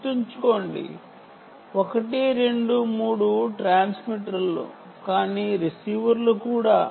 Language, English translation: Telugu, remember, one, two, three are transmitters but also receivers